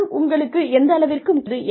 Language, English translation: Tamil, How important is money to you